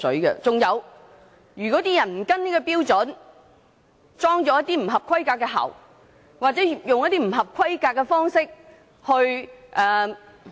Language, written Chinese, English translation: Cantonese, 如果有人沒有跟循標準，安裝一些不合規格的喉管或以不合規格的方式......, If anyone fails to follow the standards and installs some substandard pipes or carries out substandard